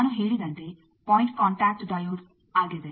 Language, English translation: Kannada, As I said point contact diode